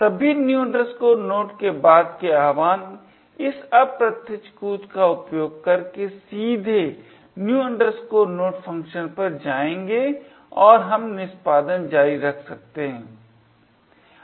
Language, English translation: Hindi, All, subsequent invocations of new node would directly jump to the new node function using this indirect jump and we can continue the execution